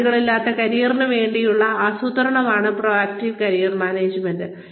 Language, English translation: Malayalam, Proactive Career Management is about boundaryless careers